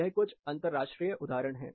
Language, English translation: Hindi, I will show you a few examples